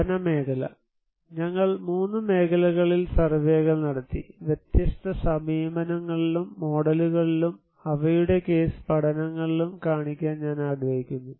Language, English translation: Malayalam, Study area; we conducted surveys in 3 areas, I would like to show in different approaches and models and their case studies